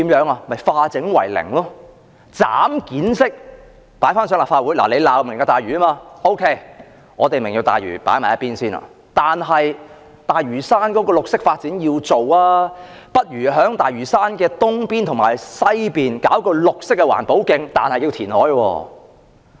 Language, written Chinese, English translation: Cantonese, 政府可以化整為零，分階段提交立法會，既然泛民反對"明日大嶼"，便把"明日大嶼"擱在一旁，但大嶼山要進行綠色發展，便提議在大嶼山東邊和西邊興建綠色環保徑，不過要填海。, The Government can split up the plan in a piecemeal manner and submit individual parts to the Legislative Council in phases . Since the pan - democracy camp opposes Lantau Tomorrow it will then put Lantau Tomorrow aside . That said the Government has to carry out green development on Lantau so it will propose to build green environmental protection trails on the eastern and western parts of Lantau but reclamation is necessary